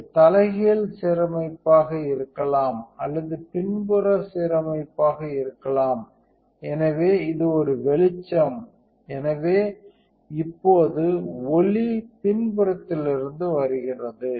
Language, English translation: Tamil, So, it can be either top side alignment or it can be a back side alignment, so this is an illumination, so now, the light is coming from the backside